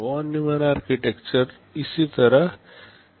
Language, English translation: Hindi, This is how typical Von Neumann Architectures look like